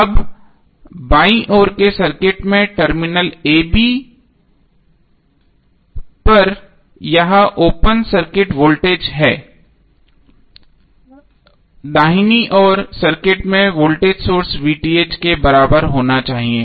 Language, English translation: Hindi, Now this open circuit voltage across the terminal a b in the circuit on the left must be equal to voltage source VTh in the circuit on the right